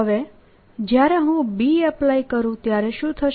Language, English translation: Gujarati, now what will happen when i apply b